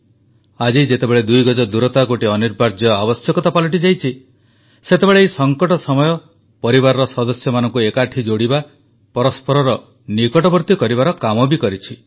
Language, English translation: Odia, Today, when the two yard social distancing has become imperative, this very crises period has also served in fostering bonding among family members, bringing them even closer